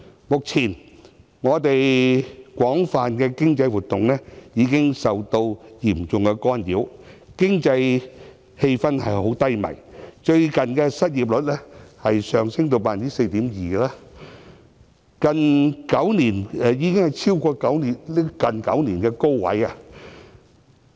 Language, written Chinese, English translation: Cantonese, 目前，我們廣泛的經濟活動，已經受到嚴重干擾，經濟氣氛低迷，現時失業率上升至 4.2%， 處於最近9年的高位。, At present a wide range of economic activities in Hong Kong have been seriously disrupted and the economic environment is bleak . Currently the unemployment rate has risen to 4.2 % which is the highest in the past nine years